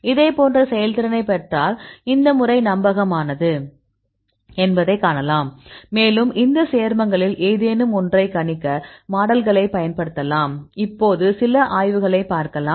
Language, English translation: Tamil, We get similar level of performance then you can see that your method is reliable and you can use your model for predicting any of these compounds; now I show the some case studies I show you